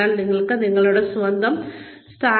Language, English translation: Malayalam, So, you have to be able to identify, your own position